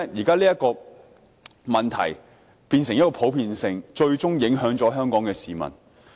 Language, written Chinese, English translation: Cantonese, 所以，這個問題現在變得很普遍，最終影響了香港的市民。, But then no action will be taken . This is why this problem has now become so prevalent that Hong Kong people will eventually be affected